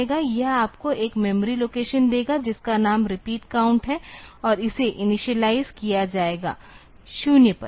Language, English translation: Hindi, It will give you one memory location whose name is repeat count and it will be initialized to 0